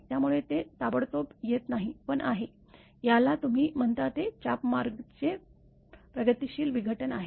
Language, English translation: Marathi, So, it does not come instantaneously, but it is; what you call it is a progressive breakdown of the arc path